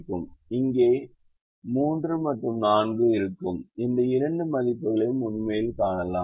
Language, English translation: Tamil, you can see these two values that are here, three and four are actually here